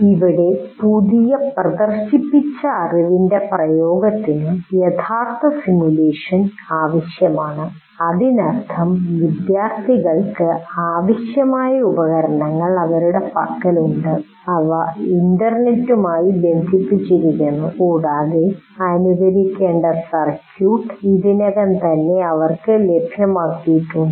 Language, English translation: Malayalam, So, here the application of the new demonstrated knowledge will require actual simulation, which means the students have the necessary devices with them and they are connected to the internet and already the circuit that needs to be simulated is already made available to them